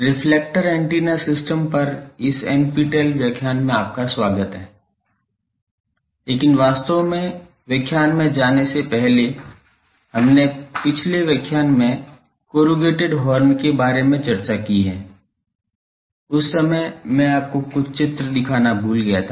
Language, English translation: Hindi, Welcome to this NPTEL lecture on Reflector Antenna systems, but before going there actually in the last lecture we have discussed about corrugated horn that time I forgot to show you some diagrams